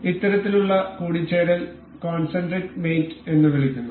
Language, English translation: Malayalam, So, this is this kind of mating is called concentric mating